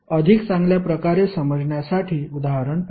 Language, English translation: Marathi, Let us see the example for better understanding